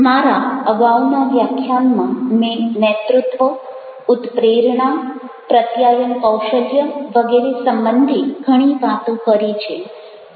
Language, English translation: Gujarati, i have talked a lot related to leadership, motivation, communication style, etcetera, etcetera